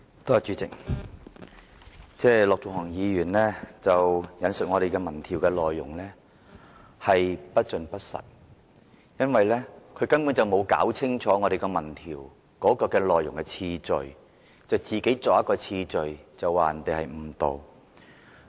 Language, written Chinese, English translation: Cantonese, 主席，陸頌雄議員引述我們的民調，但他發言的內容不盡不實，因為他根本沒有弄清楚民調內容的次序，就自行編造一個次序，說我們誤導。, President Mr LUK Chung - hung has cited our opinion poll . But what he said is not truthful because without first ascertaining the actual ordering of questions in the opinion poll he simply fabricated an ordering of questions in the questionnaire and then accused us of misleading the public